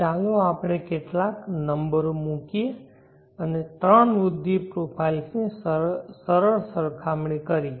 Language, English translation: Gujarati, Let us put some numbers and make a simple comparison of the three growth profiles